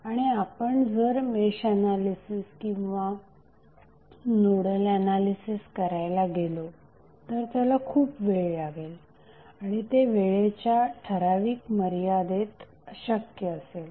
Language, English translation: Marathi, And if you start doing the mesh analysis or nodal analysis it will take a lot of time and it will be almost impossible to do it in a reasonable time frame